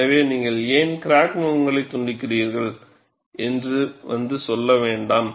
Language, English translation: Tamil, So, do not come and say, why you put the crack faces are jagged